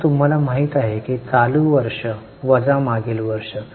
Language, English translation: Marathi, Now you know current year minus last year